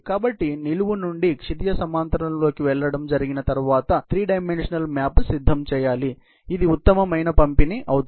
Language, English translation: Telugu, So, moving from vertical into horizontal, has to be done on you know, a three dimensional map has to prepared, which can be of optimum distribution